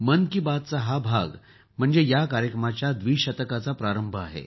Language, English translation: Marathi, This time this episode of 'Mann Ki Baat' is the beginning of its 2nd century